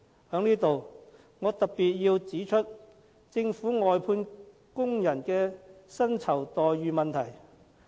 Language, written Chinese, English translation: Cantonese, 在此，我要特別指出政府外判工人的薪酬待遇問題。, Here I would like to especially point out the remuneration packages of workers for outsourced government services